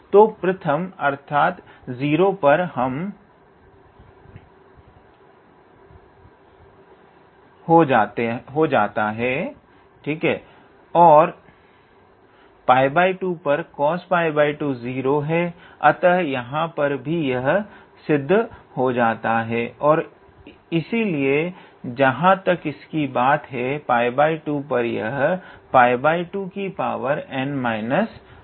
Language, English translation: Hindi, So, the first so at 0 this will vanish and at pi by 2 cos pi over 2 is 0; so this one will again vanish and therefore, and as far as this one is concerned, so at pi by 2 this will remain